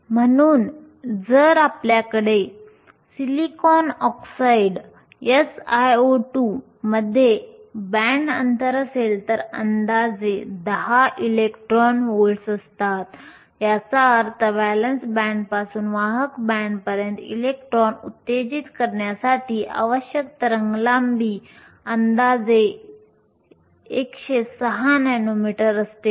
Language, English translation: Marathi, So, if we have SiO2 has a band gap approximately 10 electron volts, which means the wavelength that is required to excite electrons from the valence band to the conduction band is approximately 106 nanometers